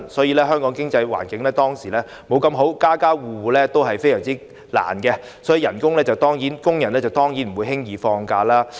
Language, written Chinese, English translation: Cantonese, 以前香港經濟環境不太好，家家戶戶捉襟見肘，工人當然不會輕易放假。, Since the economic environment was not very good then many households had too many difficulties to cope with and workers would not take leave easily